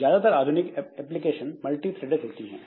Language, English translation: Hindi, Most modern applications are multi threaded